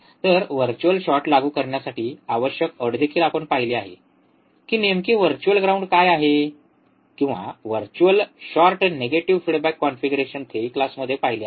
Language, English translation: Marathi, So, the required condition to apply virtual short we have also seen what exactly virtual ground is or virtual short is in the theory class, the negative feedback configuration